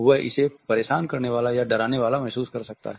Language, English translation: Hindi, He may find it crowd or disturbing or even threatening at moments